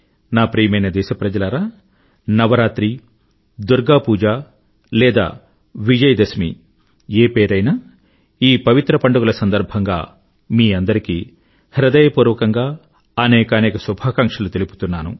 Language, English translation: Telugu, My dear countrymen, be it Navratri, Durgapuja or Vijayadashmi, I offer all my heartfelt greetings to all of you on account of these holy festivals